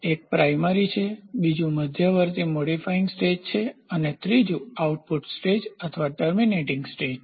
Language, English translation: Gujarati, So, one is primary, second is intermediate modifying stage and the third one is the output stage output or the terminating stage